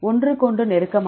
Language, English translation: Tamil, Close to each other